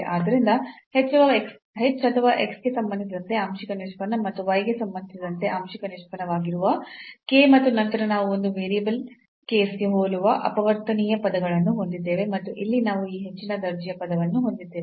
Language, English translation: Kannada, So, h or the partial derivative with respect to x and with k the partial derivative with respect to y and then we have one over factorial terms similar to the single variable case and then here we have this higher order term